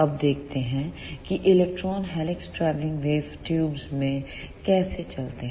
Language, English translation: Hindi, Now, let us see applications of helix travelling wave tubes